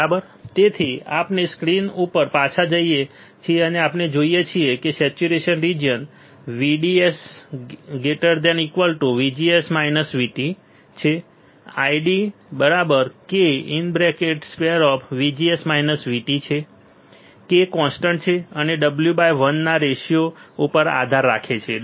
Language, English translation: Gujarati, So, we go back to the screen what we see is, the saturation region saturation region VDS greater than VGS minus V T I D equals to k times VGS minus V T square k is constant and depends on the w by l ratio